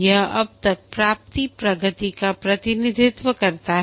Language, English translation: Hindi, This represent the progress achieved so far